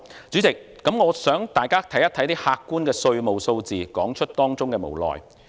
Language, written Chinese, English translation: Cantonese, 主席，我想大家看一些客觀的稅務數字，說出當中的無奈。, Chairman I would like to draw Members attention to some objective tax figures and point out the helplessness that they reveal